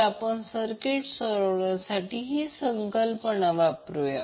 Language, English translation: Marathi, So we will utilize this concept to solve the circuit